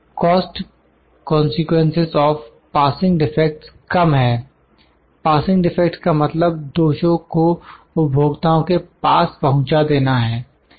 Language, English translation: Hindi, The cost consequences of passing defects are low; passing defects means passing the defects to the customers